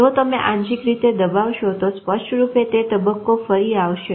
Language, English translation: Gujarati, If you partially suppress then obviously that phase will rebound